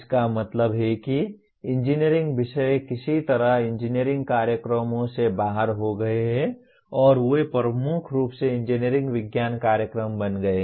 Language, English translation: Hindi, That means engineering subjects are somehow purged out of engineering programs and they have become dominantly engineering science programs